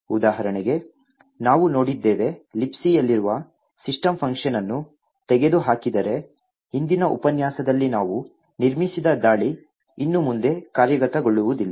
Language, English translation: Kannada, We had seen for example if the system function present in libc was removed then the attack that we have built in the previous lecture will not execute anymore